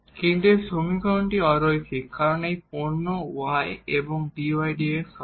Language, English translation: Bengali, But this equation is non linear because of this product y and the dy over dx